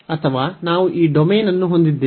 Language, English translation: Kannada, Or, we have this domain for instance